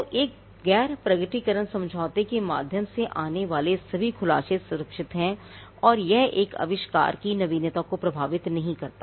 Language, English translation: Hindi, So, all disclosures that come through a non disclosure agreement are protected and it does not affect the novelty of an invention